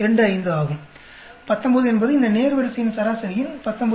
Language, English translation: Tamil, 25 is the average of these four items, 19 this is 19